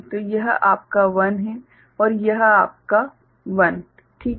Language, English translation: Hindi, So, this is your 1 and this is your 1 ok